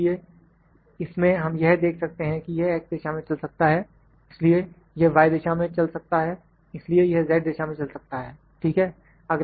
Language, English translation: Hindi, So, in this we can see that this can move in X direction here so, this can move in Y direction so, this can move in Z direction, ok